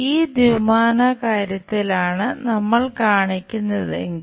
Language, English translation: Malayalam, If we are showing in this two dimensional thing